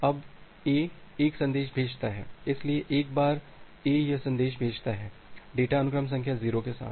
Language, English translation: Hindi, Now A sends 1 message; so, once A sends this message, this data with sequence number 0